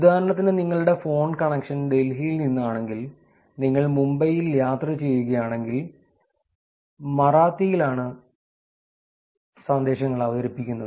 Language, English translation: Malayalam, For example if your phone connection is from Delhi and if you are traveling in Mumbai the messages are presented in Marathi